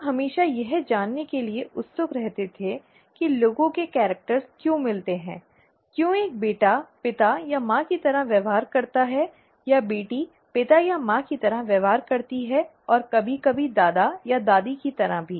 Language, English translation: Hindi, People were always curious to know why people inherit characters, why a son behaves like the father or the mother, or the daughter behaves like the father or the mother and so on, or sometimes even like the grandfather or grandmother